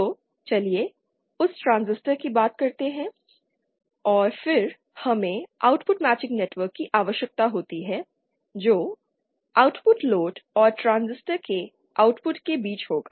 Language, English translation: Hindi, So let’s call that transistor and then we also need an output matching network which will be between the output load and the output of the transistor